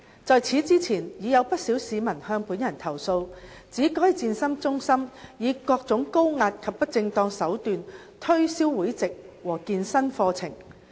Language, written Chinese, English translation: Cantonese, 在此之前已有不少市民向本人投訴，指該健身中心以各種高壓及不正當手段推銷會籍和健身課程。, Prior to this quite a number of members of the public had complained to me that the fitness centre adopted various high - pressure and unscrupulous tactics to promote memberships and fitness courses